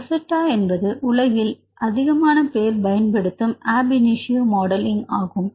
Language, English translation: Tamil, So, Rosetta is one of the widely used methods for the ab initio modelling right